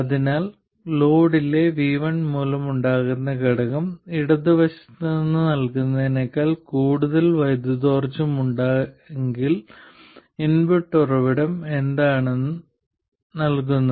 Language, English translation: Malayalam, So, the component due to VI in the load, if it has more power than what is being fed from the left side, what is being delivered by the input source